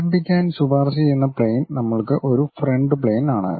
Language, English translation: Malayalam, Recommended plane to begin is for us front plane